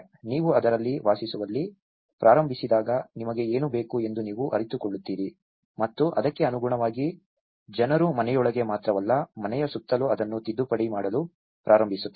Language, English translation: Kannada, When you start living in it, you realize that you know, what you need and accordingly people start amending that, not only within the house, around the house